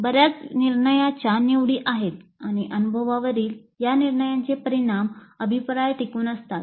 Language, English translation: Marathi, There are many decision choices and the consequences of these decisions on the experience serve as the feedback